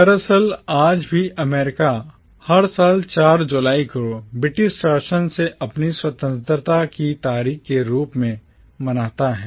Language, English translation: Hindi, Indeed, even today America celebrates the 4th of July every year as its date of independence from the British rule